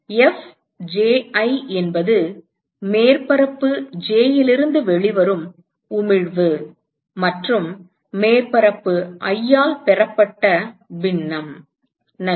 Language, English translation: Tamil, Fji is emission coming out of surface j and that fraction which is received by surface i, fine